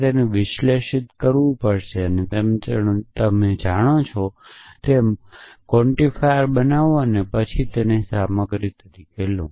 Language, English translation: Gujarati, So, you will have to parse them in you know construct quantifies and then take them as a stuff